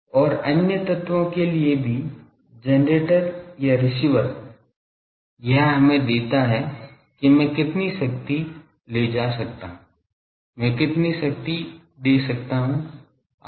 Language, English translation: Hindi, And also for other elements the generator or the receiver, it gives us that how much power I can take, how much power I can give etc